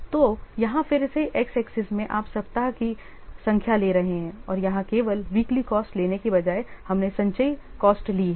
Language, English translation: Hindi, So, here again in the X axis, we are taking the week number and here instead of taking the just weekly cost, we have taken the cumulative costs